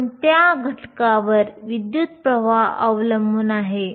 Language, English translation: Marathi, What are the factors on which the current depends on